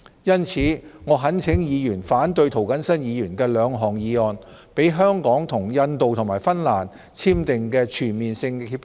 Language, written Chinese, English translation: Cantonese, 因此，我懇請議員反對涂謹申議員的兩項議案，讓香港與印度和芬蘭簽訂的全面性協定盡早生效。, Therefore I earnestly urge Members to oppose the two motions moved by Mr James TO so as to enable the Comprehensive Agreements that Hong Kong has entered into with India and Finland can come into effect as soon as possible